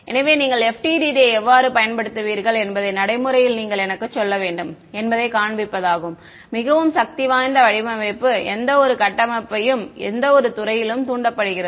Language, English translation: Tamil, So, that is to sort of show you what should you say in practice how would you use FDTD and is very very powerful design any structure excite any fields right